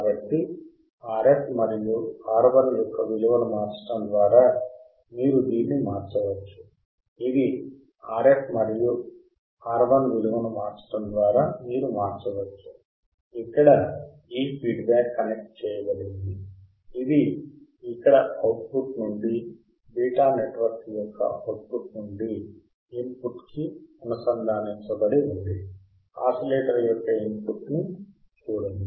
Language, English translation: Telugu, So, this you can change by changing the value of RF and R I, this you can change by changing the value of RF and R I, this feedback here it is connected here its connected here from the output to the input from output of the beta that is feedback network to the input of the oscillator